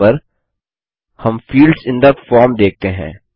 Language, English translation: Hindi, On the right hand side we see fields on the form